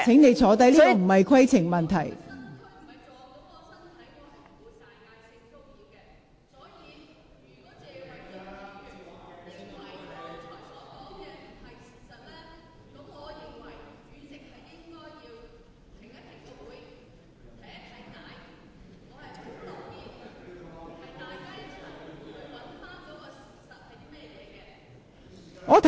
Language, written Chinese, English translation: Cantonese, 你所提述的並非規程問題，請坐下。, What you have mentioned is not a point of order . Please sit down